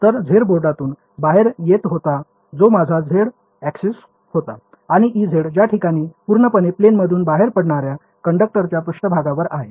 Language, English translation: Marathi, So, z was coming out of the board that was my z axis; and e z is which where it is purely along the surface of the conductor that is coming out of the plane